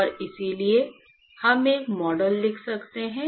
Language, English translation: Hindi, And so, we can write a model